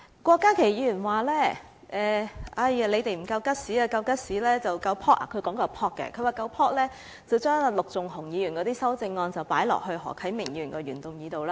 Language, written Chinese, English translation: Cantonese, 郭家麒議員說我們不夠 guts—— 他說的是不夠 "pop"—— 如果我們夠 "pop"， 便應該把陸頌雄議員的修正案加入何啟明議員的原議案內。, Dr KWOK Ka - ki said that we do not have enough guts―what he said was we do not have enough pluck―that if we had pluck enough we should have incorporated Mr LUK Chung - hungs amendment into Mr HO Kai - mings original motion